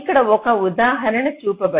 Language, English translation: Telugu, so just an example is shown here